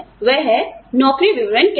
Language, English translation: Hindi, That is what, a job description is